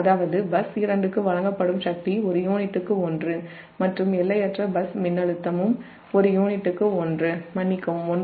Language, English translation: Tamil, that means power delivered in to bus two is one per unit and infinite bus voltage is also one angle, sorry, one angle zero per unit